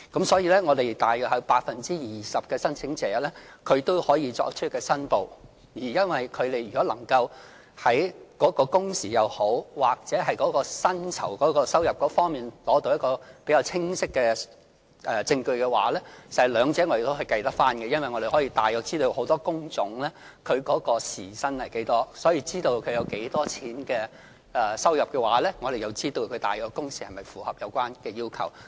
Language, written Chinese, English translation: Cantonese, 所以，有大約 20% 的申請者可以作出申報，而如果他們能夠在工時或薪酬收入方面提供比較清晰的證據的話，我們亦可以計算出來，因為我們大約知道很多工種的大約時薪是多少，所以，如果知道申請人有多少收入的話，我們便知道其工時是否符合有關要求。, Hence only about 20 % of the applicants are able to declare their working hours . If they can provide clearer proof of their working hours or wages we can calculate the exact working hours or wages as we know the approximate hourly wage of many job types . Hence we can tell from the approximate wage of applicants whether the number of their working hours meets the relevant requirement